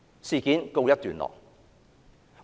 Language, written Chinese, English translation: Cantonese, 事件告一段落。, That was how the matter ended